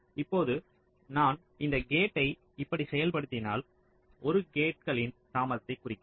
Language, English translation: Tamil, ok, now if i implement this gate like this, one denote the delay of the gates